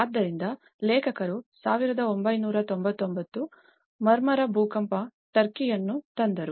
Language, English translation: Kannada, So, the authors brought the 1999 Marmara earthquake Turkey